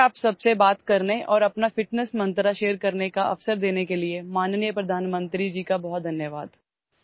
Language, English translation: Urdu, Many thanks to the Honorable Prime Minister for giving me the opportunity to talk to you all and share my fitness mantra